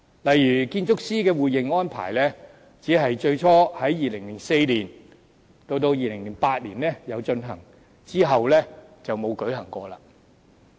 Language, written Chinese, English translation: Cantonese, 例如建築師的互認安排，只是最初在2004年至2008年進行，之後再沒有舉行過。, For instance the mutual recognition of qualifications of architects was only arranged from 2004 to 2008 and there was no such an arrangement afterwards